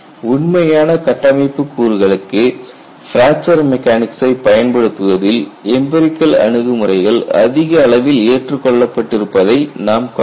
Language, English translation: Tamil, See the empirical approaches have found rated acceptance in applying fracture mechanics to actual structure components